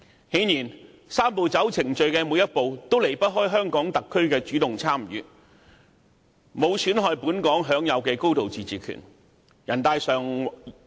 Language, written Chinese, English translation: Cantonese, 很明顯，"三步走"程序的每一步都有香港特區主動參與，沒有損害本港享有的高度自治權。, Obviously with the proactive participation of the HKSAR in every step the Three - step Process has in no way undermined the high degree of autonomy enjoyed by the people of Hong Kong